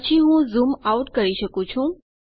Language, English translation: Gujarati, Then I can zoom out